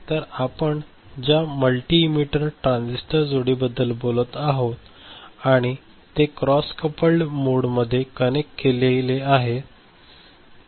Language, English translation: Marathi, So, this is the multi emitter transistor pair that we have been talking about and you see that they are connected in a cross coupled mode